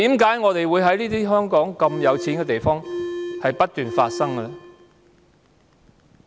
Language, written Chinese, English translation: Cantonese, 在香港如此富裕的地方，為何不斷發生這種事？, How come these cases keep coming up in a rich city like Hong Kong?